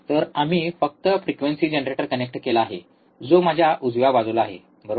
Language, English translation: Marathi, So, we have just connected the frequency generator which is here on my, right side, right